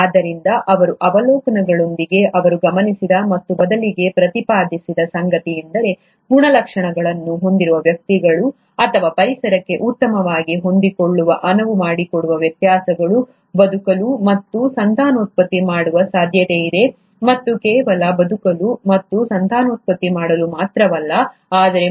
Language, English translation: Kannada, So, with his observations, what he observed and rather postulated is that individuals with traits, or rather variations which allow them to best adapt to the environment are most likely to survive and reproduce, and not only just survive and reproduce, but pass on these favourable characters to the next generation